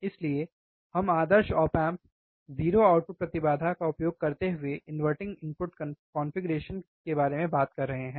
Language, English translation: Hindi, So, we are talking about input inverting configuration using ideal op amp 0 output impedance, right